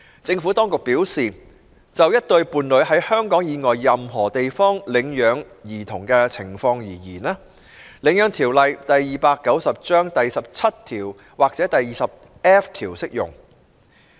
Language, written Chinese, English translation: Cantonese, 政府當局表示，就一對伴侶在香港以外任何地方領養兒童的情況而言，《領養條例》第17條或第 20F 條適用。, The Administration has advised that in case of adoption of children by a couple in any place outside Hong Kong sections 17 or 20F of the Adoption Ordinance Cap . 290 would apply